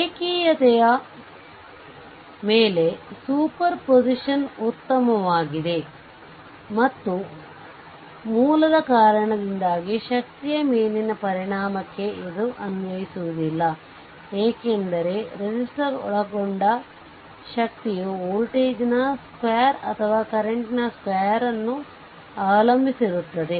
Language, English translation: Kannada, Superposition is best on linearity and the and this reason it is not applicable to the effect on power due to the source, because the power observed by resistor depends on the square of the voltage or the square of the current